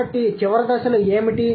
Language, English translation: Telugu, So, what are the final stages